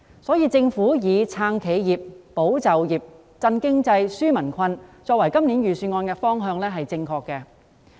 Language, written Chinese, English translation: Cantonese, 因此，政府以"撐企業、保就業、振經濟、紓民困"作為今年預算案的方向是正確的。, Therefore it is right for the Government to adopt the direction of supporting enterprises safeguarding jobs stimulating the economy and relieving peoples burden in this years Budget